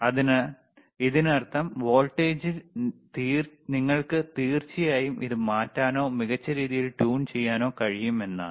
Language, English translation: Malayalam, So that means, that in voltage, you can course change it or you can fine tune it,